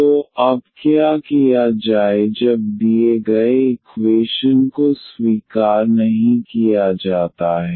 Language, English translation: Hindi, So, now what to be done when the given equation is not accept